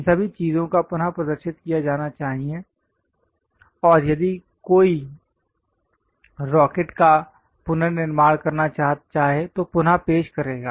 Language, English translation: Hindi, All these things supposed to be represented and reproduce if one would like to rebuild a rocket